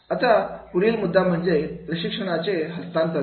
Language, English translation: Marathi, Now the next point is that is a training transfer